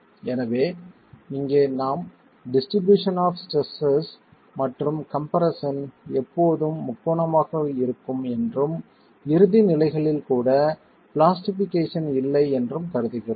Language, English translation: Tamil, So, here we have been assuming that the distribution of stresses and compression is always triangular and there is no plastication even at ultimate conditions